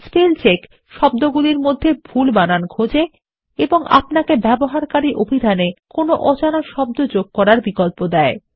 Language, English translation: Bengali, Spellcheck looks for spelling mistakes in words and gives you the option of adding an unknown word to a user dictionary